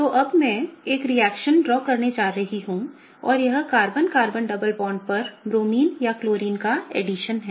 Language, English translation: Hindi, Okay, so now, I am gonna draw one more reaction and this is the addition of Bromine or Chlorine on the Carbon Carbon double bond, okay